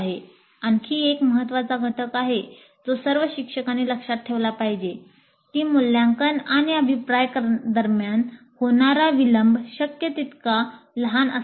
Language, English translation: Marathi, This is another very important component that all instructors must remember that the delay between the assessment and feedback must be as small as possible